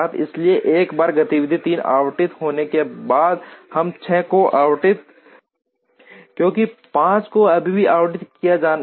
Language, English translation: Hindi, So, once activity 3 is allotted we cannot allot 6, because 5 is still to be allotted